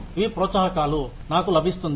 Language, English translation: Telugu, These are the incentives, I get